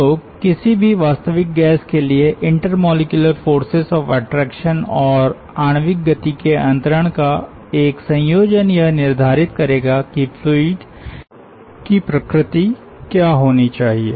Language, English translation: Hindi, it is not just transfer of molecular momentum, so a combination of transfer of molecular momentum and the intermolecular forces of attraction for any real substance will determine that what should be the viscous nature of the fluid